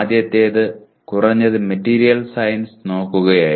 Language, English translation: Malayalam, The earlier one was at least looking at material science